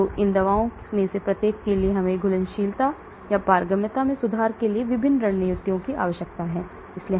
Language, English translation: Hindi, So for each of these drugs we may require different strategies for improving either the solubility or the permeability